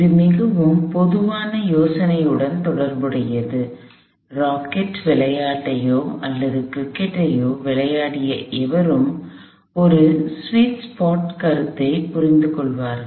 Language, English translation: Tamil, This one has to do with the very common idea, anybody that has played sports, either a rocket sports or cricket would understand the concept of a sweets part